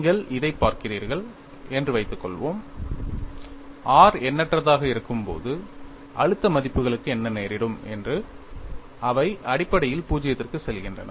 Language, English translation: Tamil, Suppose you look at this, when r tends to infinity what happens to the stress values, they essentially go to 0